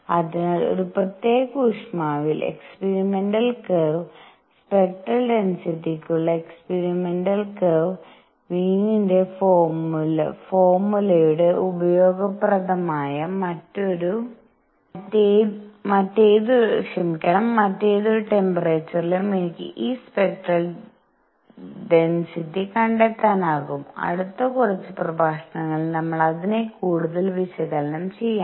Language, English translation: Malayalam, So, given experimental curve at one particular temperature, the experimental curve for spectral density, I can find these spectral density at any other temperature that is the utility of Wien’s formula, we will analyze it further vis a vis, we experimental curves in the next few lectures